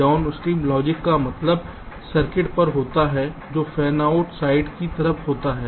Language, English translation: Hindi, downstream logic means at the, the circuits which are towards the fanout side, so we can place closer to that